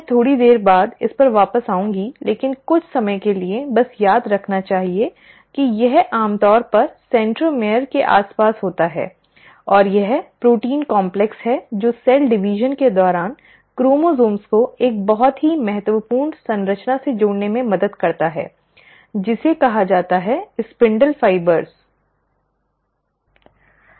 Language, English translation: Hindi, Now I will come back to this a little later but for the time being, just remember that it is usually surrounding the centromere and it is the protein complex which helps in attaching the chromosomes to a very important structure during cell division, which is called as the ‘spindle fibres’